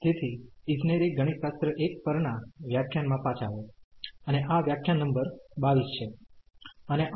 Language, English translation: Gujarati, So, welcome back to the lectures on the Engineering Mathematics 1, and this is lecture number 22